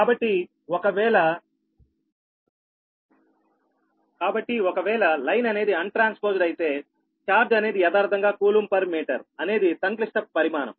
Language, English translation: Telugu, so if that means what, that, if the, if the line is untransposed, the charge, actually coulomb per meter, is a complex quantity, right